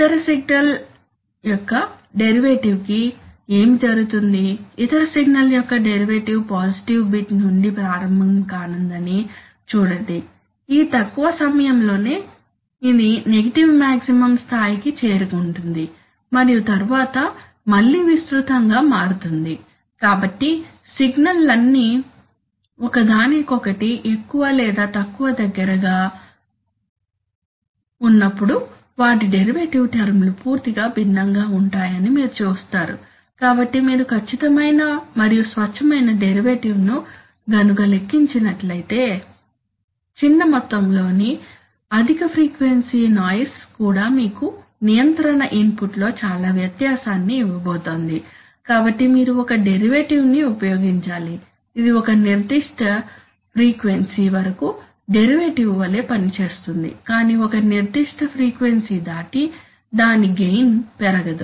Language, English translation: Telugu, What happens to the derivative of the other signal, see the derivative of the other signal is going to start from positive bit within this short time it will reach a negative maximum and then it will again, so it will be it will be widely varying, so you see that while these signals are more or less close to each other, there derivative terms are completely different, so if you calculate a derivative exact pure derivative then, Even a small amount of high frequency noise is going to give you a lot of difference in the control input, so therefore you need to use a derivative which will act like a derivative up to a certain frequency but beyond a certain frequency its gain will not be, will not blow up right so we need to limit the gain for high frequency noise